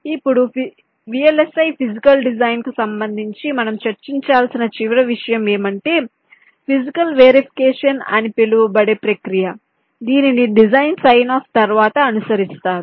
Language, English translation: Telugu, now, the last thing that that we shall be discussing with respect to vlis, physical design, is the process called physical verification